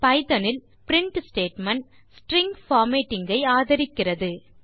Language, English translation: Tamil, print statement in python supports string formatting